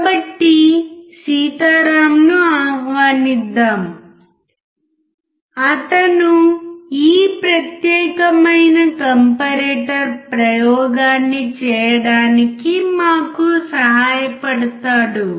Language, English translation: Telugu, So, let us again welcome Sitharam who will help us to perform this particular experiment of a comparator